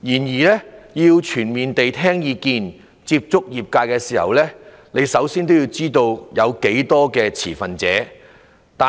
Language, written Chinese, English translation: Cantonese, 要全面地聽意見、接觸業界時，首先要知道有多少持份者。, In order to listen to views of stakeholders and communicate with them the authorities should first know how many stakeholders are involved